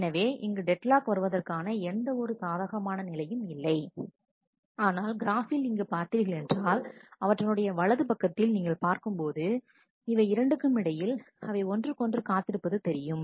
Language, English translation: Tamil, So, there is no possibility of a deadlock, whereas in here if you look in the graph on right, then you can see that between these three they are waiting on each other